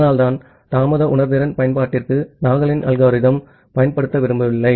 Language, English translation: Tamil, And that is why do not want to use Nagle’s algorithm for delay sensitive application